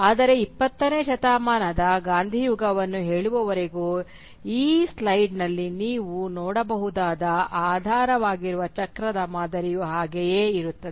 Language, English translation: Kannada, But the underlying cyclical pattern which you can see in this slide remain the same till say the Gandhian era of the 20th century